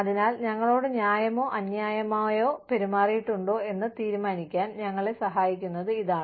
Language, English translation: Malayalam, So, this is what we feel, will help us decide, whether we have been treated, fairly or unfairly